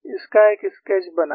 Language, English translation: Hindi, Make a sketch of this